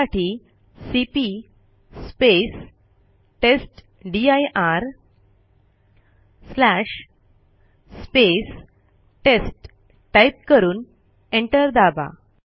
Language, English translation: Marathi, For that we would type cp testdir/ test and press enter